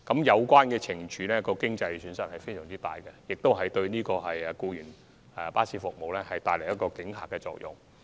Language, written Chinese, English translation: Cantonese, 有關懲處造成的經濟損失相當大，亦會對違規提供僱員服務的公司產生阻嚇作用。, The financial loss incurred by the relevant penalties is very significant and is able to deter companies from providing unauthorized employees services